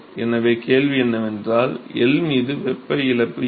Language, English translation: Tamil, So, the question is, what is the heat loss over L